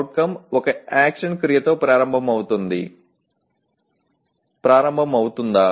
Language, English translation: Telugu, Does the CO begin with an action verb